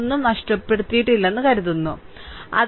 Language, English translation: Malayalam, Hope I have not missed anything right